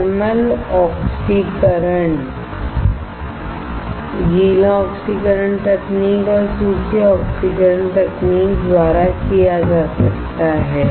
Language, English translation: Hindi, Thermal oxidation can be done by wet oxidation technique and dry oxidation technique